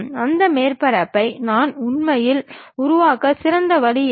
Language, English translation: Tamil, What is the best way I can really construct that surface